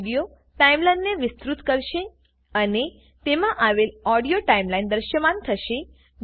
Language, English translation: Gujarati, This will expand the Video timeline and display the audio timeline therein